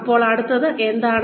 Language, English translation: Malayalam, Now, what next